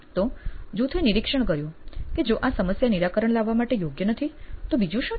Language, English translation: Gujarati, So, the team observed that if this is not a problem worth solving then what else is